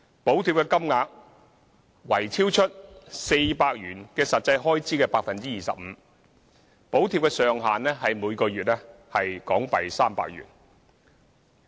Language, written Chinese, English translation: Cantonese, 補貼金額為超出400元以外的實際開支的 25%， 補貼上限為每月300元。, The subsidy will amount to 25 % of the actual public transport expenses in excess of 400 subject to a maximum of 300 per month